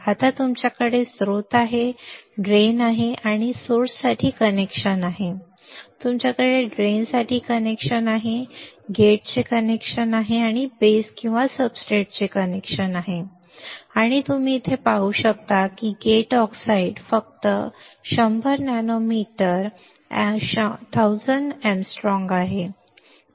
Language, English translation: Marathi, Now you have source you have drain you have connection for source, you have connection for drain you have connection for a gate you have connection for your base or substrate right and you can see here the gate oxide is only 100 nanometre 1000 angstrom